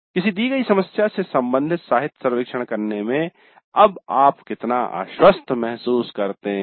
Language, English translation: Hindi, How confident do you feel now in carrying out the literature survey related to a given problem related to self learning